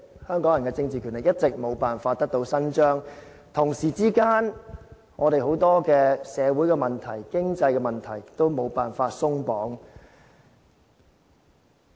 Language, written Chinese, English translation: Cantonese, 香港人的政治權力一直沒有辦法得到伸張，同時間，我們很多社會問題、經濟問題，都沒有辦法鬆綁。, Hong Kong people have never been able to exercise any political power . At the same time many social and economic problems have remained unresolved